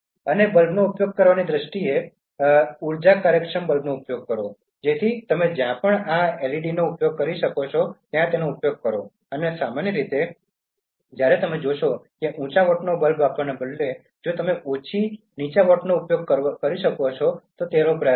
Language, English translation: Gujarati, And in terms of using bulbs, use energy efficient bulbs, so wherever you can use this LED so you can use and generally you when you see that instead of using high watt bulb, if you can use a low watt one in that small space, so try to do that